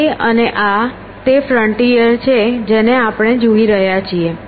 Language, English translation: Gujarati, So, that and this is the frontier that we are looking at